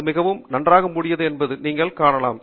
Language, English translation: Tamil, You can see that it is fairly well covered